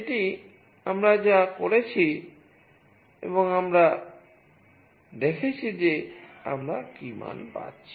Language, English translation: Bengali, This is what we have done and we have seen that what value we are receiving